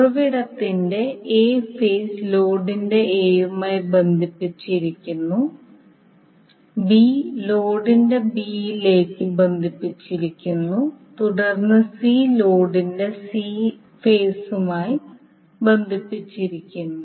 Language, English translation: Malayalam, So you will see that the A phase of the source is connected to A of load, B is connected to B of load and then C is connected to C phase of the load